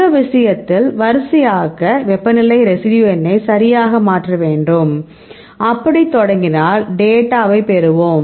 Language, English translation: Tamil, So, in this case sorting you need to change temperature residue number right and, if we start and we will get the data is the one for these things right